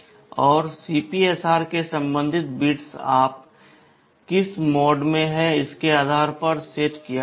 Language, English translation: Hindi, And the corresponding bits of the CPSR will be set depending on which mode you are in